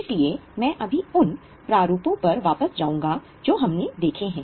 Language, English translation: Hindi, So, I will just go back to the formats which we have seen